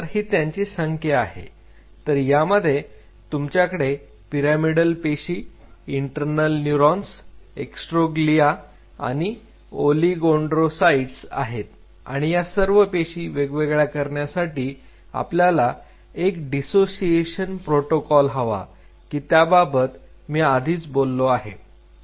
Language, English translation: Marathi, So, this is the population what you are getting pyramidal cells interneurons astroglia oligodendrocyte first of all you dissociate these cells and we have talked about the dissociation protocol